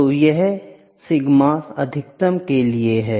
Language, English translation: Hindi, So, this is for sigma max